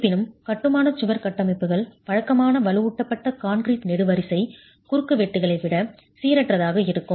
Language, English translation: Tamil, However, masonry wall configurations can be more random than regular reinforced concrete column cross sections